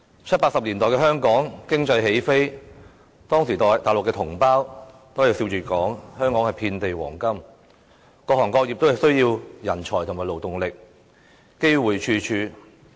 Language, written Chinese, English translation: Cantonese, 七八十年代的香港經濟起飛，當時內地同胞都會笑着說香港遍地黃金，各行各業都需要人才和勞動力，機會處處。, The economy of Hong Kong took off in the 1970s and 1980s . At that time our compatriots in the Mainland all talked smilingly about Hong Kong as a place of great affluence . The need for manpower and labour were found in many different trades occupations and industries